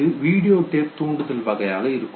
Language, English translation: Tamil, That would be the videotape stimulus tape